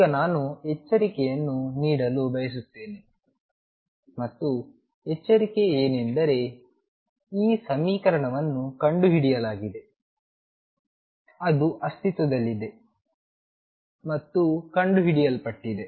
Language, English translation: Kannada, Now this I want to give a word of caution, and the caution is that this equation is discovered, it exists somewhere and is discovered